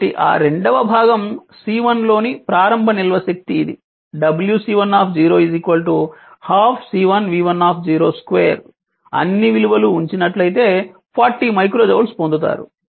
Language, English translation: Telugu, So, that second part is initial energy stored in C 1 it is w c 1 0 is equal to half C 1 v c 1 0 square, you put all the values you will get 40 ah micro joule